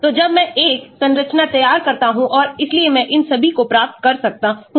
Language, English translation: Hindi, so when I draw a structure and so I can get all these of course